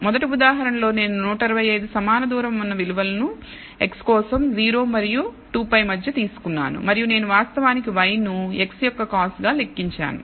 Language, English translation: Telugu, In the first example I have taken 125 equally spaced values between 0 and 2 pi for x and I have actually computed y as cos of x